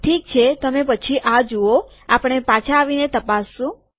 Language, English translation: Gujarati, Okay so you see this, we will come back and check that